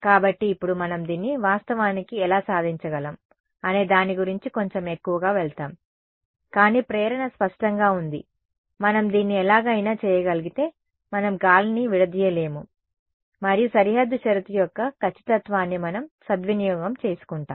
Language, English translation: Telugu, So, now, we will go a little bit more into how can we actually accomplish this, but the motivation is clear, if we are somehow able to do this then we would have not discretized air and we would be taking advantage of exactness of boundary condition